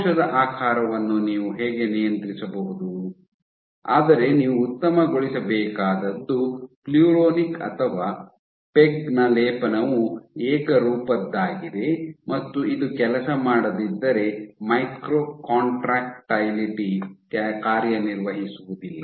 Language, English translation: Kannada, So, that is how you can control cell shape, but what you have to optimize is to make sure that your coating of pluronic or peg is uniform if this does not work then your micro contractibility would not work